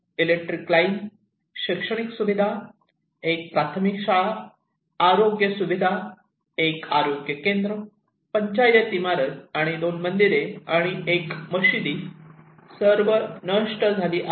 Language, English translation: Marathi, The electricity line, educational facilities, one primary school, health facilities, one health centre, Panchayat building and two temples and one mosque were all destroyed